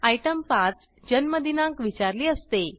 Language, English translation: Marathi, The item 5 section asks for date of birth